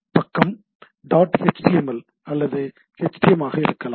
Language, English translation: Tamil, So, the page can be dot html or htm